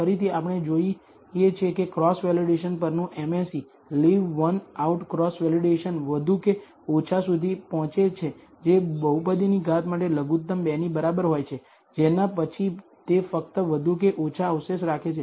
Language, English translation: Gujarati, Again we see that the mse on the cross validation leave one out cross validation reaches more or less the minimum for a degree of the polynomial equal to 2, after which it just keeps remains more or less at